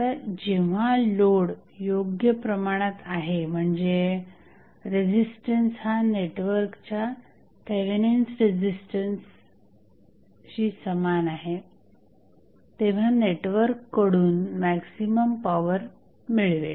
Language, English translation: Marathi, Now, when the load is sized, such that the resistance is equal to Thevenin's resistance of the network